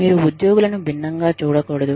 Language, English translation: Telugu, You do not treat employees, differently